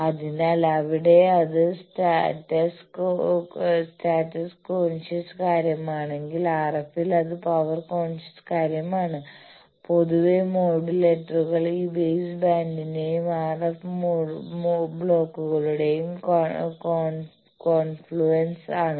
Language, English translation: Malayalam, So, there it is a status conscious thing whether in RF it is how much power, etcetera and generally modulators are the confluence of this base band and the RF blocks